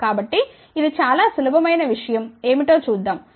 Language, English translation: Telugu, So, let see what is this very very simple things